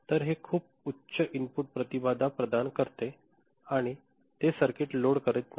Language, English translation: Marathi, So, this provides a very high input impedance and it does not load the circuit